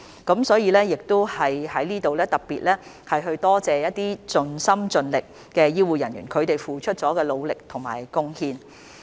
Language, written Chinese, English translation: Cantonese, 因此，我在這裏也要特別多謝一些盡心盡力的醫護人員所付出的努力和貢獻。, Therefore here I would also like to thank those dedicated healthcare staff for their hard work and contribution